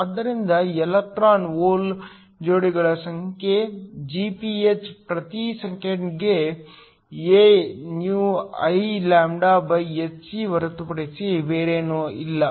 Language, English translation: Kannada, So, number of electron hole pairs Gph per second is nothing but AηIλhc